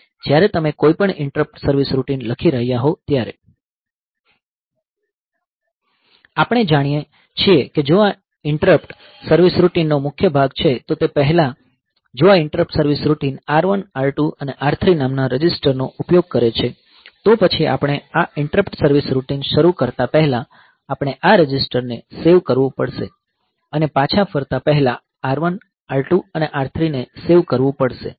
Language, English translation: Gujarati, So, we know that if this is the body of the interrupt service routine then before that if this interrupt service routine say uses the registers say R1, R2 and R3 then before we start this interrupt service routine we have to save this registers save R1 R2 R3 and after this before returning